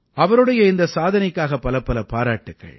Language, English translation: Tamil, Many congratulations to her on this achievement